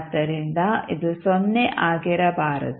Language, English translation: Kannada, So, this cannot be 0